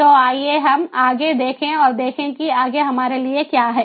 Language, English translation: Hindi, so let us look ahead and see what is there for us further